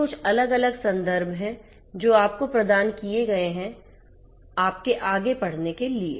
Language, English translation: Hindi, These are some of these different references that have been provided to you, for your further reading